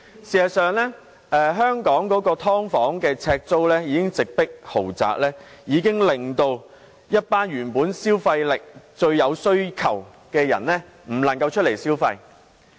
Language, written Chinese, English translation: Cantonese, 事實上，香港"劏房"的呎租已經直迫豪宅，令一群原本既有消費力又有需求的人無法外出消費。, Actually the per - square - foot rents of subdivided units are already catching up with the rents of luxury apartments